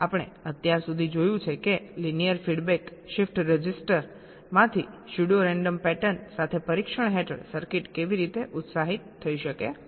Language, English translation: Gujarati, we have so far seen that how a circuit under test can be excited with pseudo random patterns from a linear feedback shift register